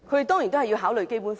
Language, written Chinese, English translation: Cantonese, 當然是要考慮《基本法》。, Certainly they must take account of the Basic Law